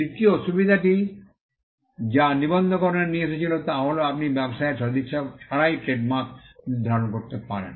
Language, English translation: Bengali, The third benefit that registration brought about was the fact that, you could assign trademarks without giving away the goodwill of the business